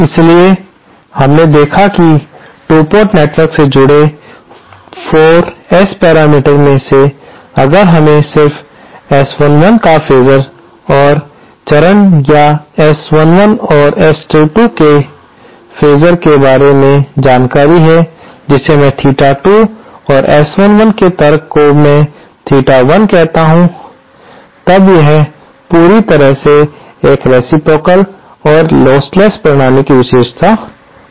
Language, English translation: Hindi, So, we saw that of the 4 S parameters associated with the 2 port network, if we just get information about S 11 magnitude, the phasor or the argument of S11 and argument of S22 which I call theta 2 and the argument of S11, I am calling theta 1